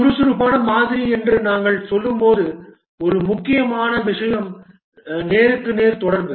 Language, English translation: Tamil, As we are saying that the agile model, one important thing is face to face communication